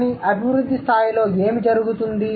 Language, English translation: Telugu, But how, what happens in the development level